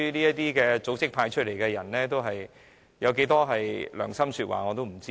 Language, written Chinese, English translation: Cantonese, 這些組織派出的人選會說多少良心說話，我不知道。, I am not sure whether the candidate fielded by these organizations will speak from their conscience